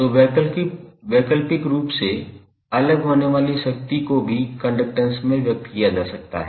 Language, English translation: Hindi, So, alternatively the power dissipated can also be expressed in term of conductance